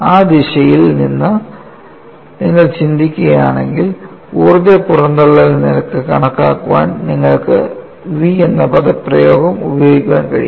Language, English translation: Malayalam, If you think from that direction, it is possible for you to use the expression for v to calculate the energy release rate